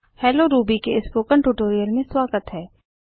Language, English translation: Hindi, Welcome to the Spoken Tutorial on Hello Ruby